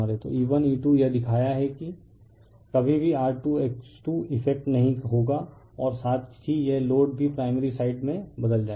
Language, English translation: Hindi, So, E 1 E 2 this is show you will never be affected not R 2 X 2 as well as this load also will transform to the primary side